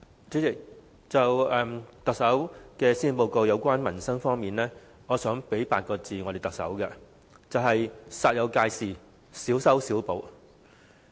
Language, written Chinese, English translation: Cantonese, 主席，對於特首在施政報告內有關民生的政策和措施，我想對她說8個字，就是"煞有介事，小修小補"。, President as regards livelihood policies and measures announced by the Chief Executive in the Policy Address I wish to tell her that they are patchy fixes made in seeming earnest